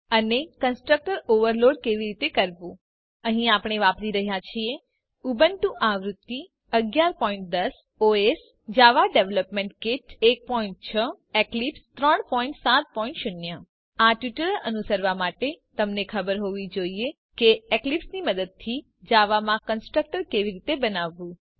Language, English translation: Gujarati, In this tutorial we will learn what is constructor overloading And to overload constructor Here we are using Ubuntu version 11.10 OS Java Development kit 1.6 Eclipse 3.7.0 To follow this tutorial you must know how to create constructors in java using eclipse